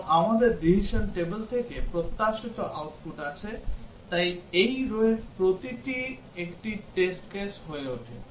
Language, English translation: Bengali, And we also have the expected output from the decision table, so each of these rows becomes a test case